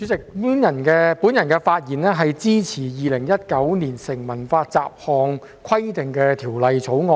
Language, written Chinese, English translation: Cantonese, 主席，我發言支持《2019年成文法條例草案》。, President I speak in support of the Statute Law Bill 2019 the Bill